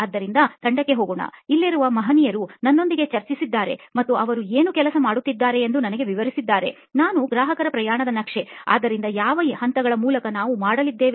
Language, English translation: Kannada, So over to the team, the gentlemen here are who have discussed with me and have explained to me what is it that they are working on, we will do a customer journey map so you heard me talk about the steps and that is what we are going to do